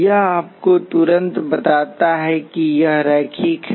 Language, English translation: Hindi, This immediately tells you, it is linear